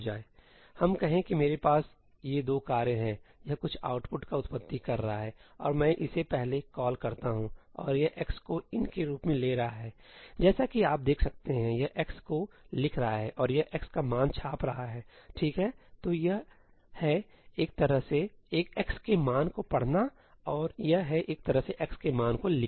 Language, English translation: Hindi, Let us say I have these 2 tasks; this is producing some output and I call this first, and this is taking x as ëiní as you can see this is writing to x and this is printing the value of x, right, so, it is, kind of like, reading the value of x and this is, kind of like, writing the value of x